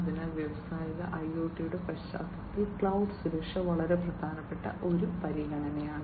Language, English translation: Malayalam, So, cloud security is a very important consideration in the context of Industrial IoT